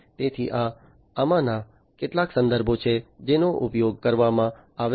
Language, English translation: Gujarati, So, these are some of these references that are used